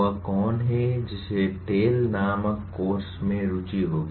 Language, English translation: Hindi, Who is, who will have interest in the course called TALE